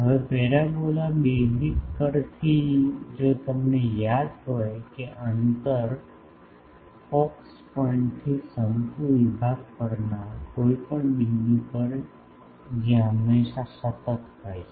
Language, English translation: Gujarati, Now, from the parabolas basic any conic section if you remember that if from the distance from the focus to any point on the conic section that is always a constant